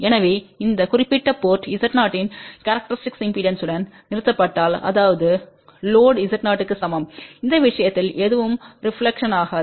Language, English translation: Tamil, So, if this particular port is terminated with a characteristic impedance of Z 0 that means, load is equal to Z 0 in that case nothing will reflect